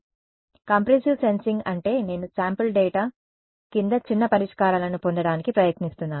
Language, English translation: Telugu, So, compressive sensing means I am trying to get sparse solutions from under sampled data